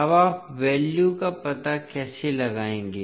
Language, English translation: Hindi, Now, how you will find out the values